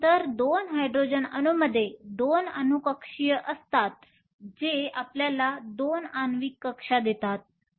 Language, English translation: Marathi, So, a 2 Hydrogen atoms have 2 atomic orbitals which give you 2 molecular orbitals